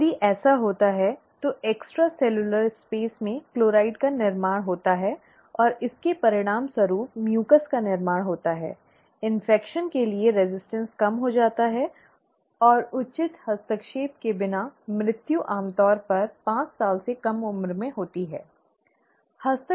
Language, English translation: Hindi, If that happens, there is a chloride build up in the extra cellular space, and that results in mucus build up, reduced resistance to infection, and without proper intervention, death usually occurs below five years of age, okay